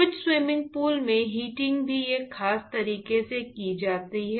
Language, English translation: Hindi, In some of the swimming pools, the heating is also done in a certain way